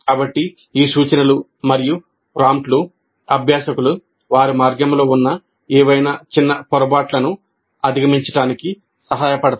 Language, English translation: Telugu, So these cues and prompts are supposed to help the learners overcome any minor stumbling blocks which exist in their path